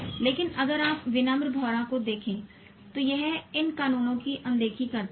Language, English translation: Hindi, But if you look at the humble bumble bee, it ignores these laws